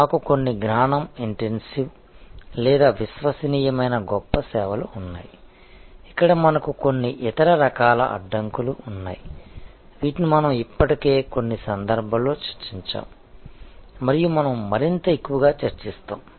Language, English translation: Telugu, We have certain knowledge intensive or credence rich services, where we have certain other types of barriers, which we have already discussed in some cases and we will discuss more and more